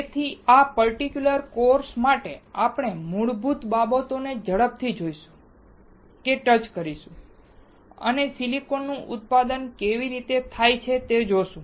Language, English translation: Gujarati, So, for this particular course, we will see or will touch the basics quickly and see how the silicon is manufactured